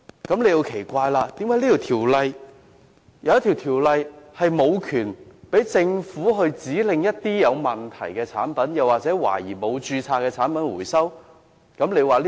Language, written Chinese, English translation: Cantonese, 大家會奇怪，為何《條例》並無賦權政府指令回收有問題或懷疑沒有註冊的產品？, Members may feel puzzled why the Government is not given the power under CMO to order the recall of problematic or suspected unregistered products